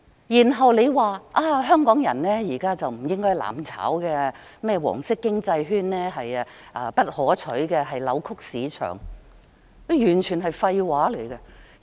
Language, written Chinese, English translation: Cantonese, 然後，他說香港人現在不應"攬炒"，"黃色經濟圈"不可取，扭曲市場，這完全是廢話。, This is certainly an approach to burn together . He then said that Hong Kong people should not burn together and the yellow economic circle was undesirable as it would distort the market . These comments are nothing but bullshit